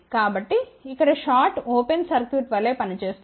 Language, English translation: Telugu, So, short will act as open circuit